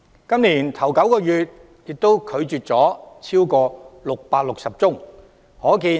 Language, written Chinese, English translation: Cantonese, 今年首9個月也拒絕了超過660宗申請。, In the first nine months of this year he has also rejected more than 660 applications